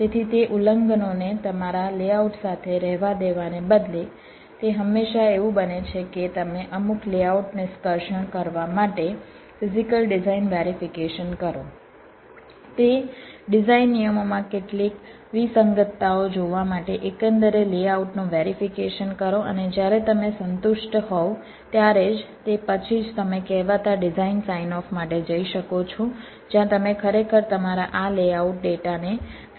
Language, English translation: Gujarati, so instead of letting those violations remain with your layout, it is always the case that you do a physical design verification, to do some layout extraction, verify the layout overall to look for some anomalies in those design rules and only if an your satisfy with that, then only you can go for the so called design sign of where you can ah actually send your this layout data for fabrication